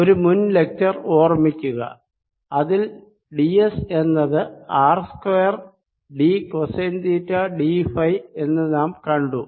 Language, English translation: Malayalam, recall from one of the previous lecture that d s is r square d cosine of theta d phi